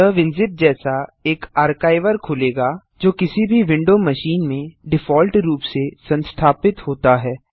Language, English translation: Hindi, It will open in an archiver like Winzip, which is installed by default on any windows machine